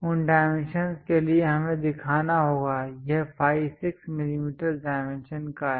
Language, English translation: Hindi, For that dimensions we have to show, it is phi is 6 millimeters of dimension